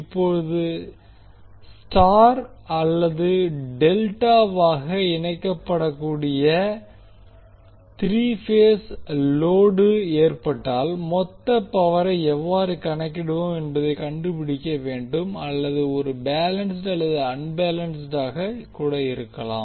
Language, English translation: Tamil, Now, we need to find out how we will calculate the total power in case of three phase load which may be connected as Y or Delta or it can be either balanced or unbalanced